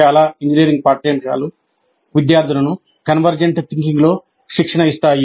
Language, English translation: Telugu, And most of the engineering curricula really train the students in convergent thinking